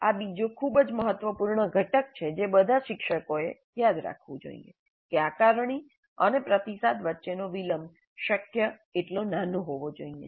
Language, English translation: Gujarati, This is another very important component that all instructors must remember that the delay between the assessment and feedback must be as small as possible